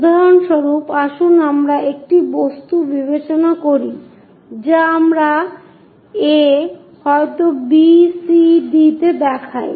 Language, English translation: Bengali, For example, let us consider an object which we are showing a, maybe b, c, d